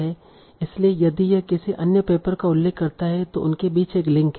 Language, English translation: Hindi, So if a paper is citing another paper, there is a link between them